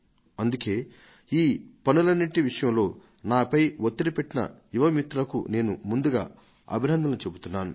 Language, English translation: Telugu, So first I would like to felicitate my young friends who put pressure on me, the result of which was that I held this meeting